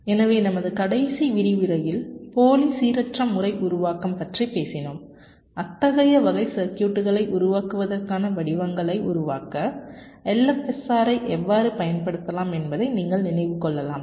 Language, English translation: Tamil, so in our last lecture, if you recall, we were talking about pseudo random pattern generation and how we can use l f s r to generate the patterns for building such type of a circuits